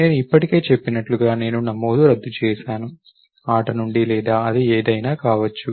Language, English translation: Telugu, And I already said, I deregistered let us say, from game or whatever it may be